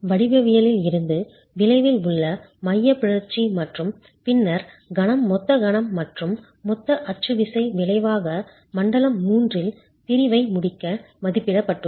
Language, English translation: Tamil, From the geometry, the eccentricity in the resultants and then the moment, total moment and the total axial force resultants are estimated to complete the section in zone 3